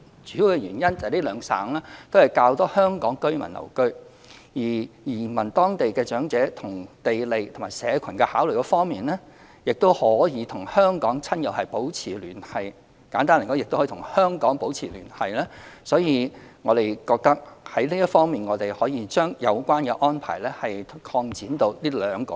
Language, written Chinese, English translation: Cantonese, 主要原因是兩省均有較多香港居民居留，移居當地的長者在地利和社群考慮方面，亦可與香港親友保持聯繫，簡單而言亦可與香港保持聯繫，所以我們認為可以將有關安排擴展至這兩省。, The main reason is that there are more Hong Kong citizens residing in these two provinces . In terms of geographical proximity and community bonding elderly persons residing in the two places may maintain a close tie with their relatives and friends in Hong Kong which in gist means maintaining connection with Hong Kong . For this reasons we consider it suitable to extend the portability arrangement to these two provinces